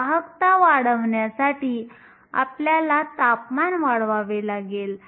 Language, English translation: Marathi, To increase the conductivity we have to increase temperature